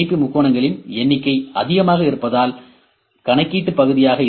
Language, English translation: Tamil, The number of triangles makes the more the number of triangles are more would be the computational part